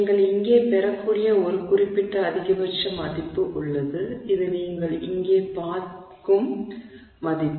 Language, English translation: Tamil, There is a certain maximum value that you can get here which is the value that you see here